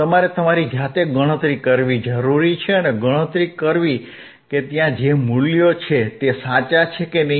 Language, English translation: Gujarati, You are to calculate by yourself and calculates whether the values that is there are correct or not